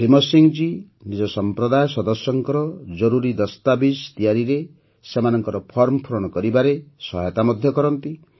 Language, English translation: Odia, Bhim Singh ji also helps his community members in making necessary documents and filling up their forms